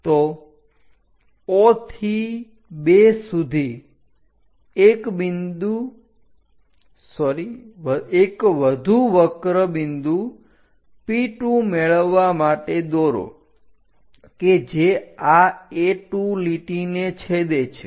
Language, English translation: Gujarati, So, from O to 2 draw one more curve to make a point P2 which intersects this A2 line